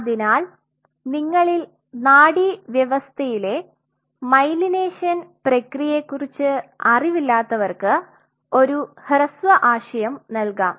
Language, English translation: Malayalam, So, those of you who are not aware of the myelination process in the nervous system just to give you a brief idea